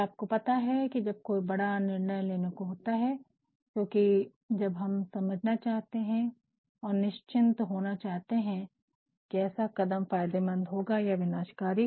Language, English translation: Hindi, And, you know when some major decision is to be taken, because there are times when we want to understand and ensure that such a step either will be beneficial or will be disastrous